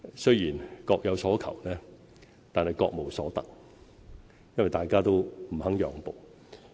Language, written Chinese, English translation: Cantonese, 雖然各有所求，但各無所得，因為大家都不肯讓步。, Since both sides are reluctant to give in their respective demands have not been fulfilled